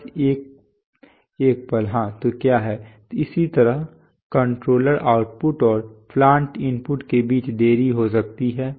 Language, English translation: Hindi, Next is oh, just a moment yeah, so what is the, similarly there could be delays between controller outputs and plant inputs right